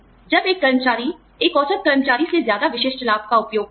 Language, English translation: Hindi, When an employee uses a specific benefit, more than the average employee does